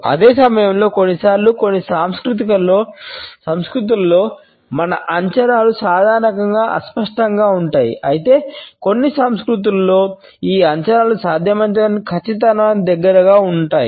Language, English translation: Telugu, And at the same time sometimes in certain cultures our estimates can be normally imprecise whereas, in some cultures as we will later see these estimates have to be as close to precision as possible